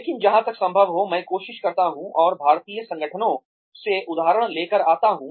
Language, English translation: Hindi, But, as far as possible, I try and bring up examples, from Indian organizations